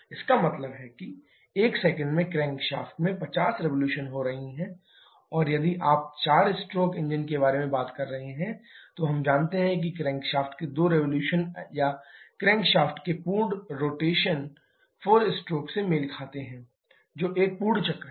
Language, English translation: Hindi, That means in one second the crankshaft is having 50 revolution and if you are talking about a four stroke engine, we know that two revolutions of the crank shaft or full rotation of the crankshaft corresponds to 4 stroke that is one full cycle